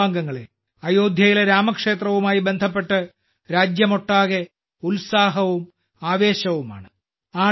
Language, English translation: Malayalam, My family members, there is excitement and enthusiasm in the entire country in connection with the Ram Mandir in Ayodhya